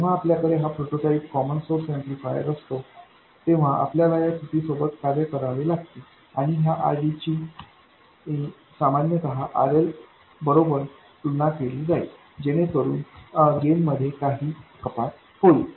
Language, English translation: Marathi, When we have this prototype common source amplifier, we have to live with this shortcoming and this RD usually will end up being comparable to RL, so you will have some reduction in gain